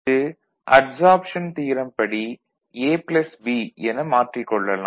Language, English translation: Tamil, And after that you can use adsorption theorem, so this is A plus B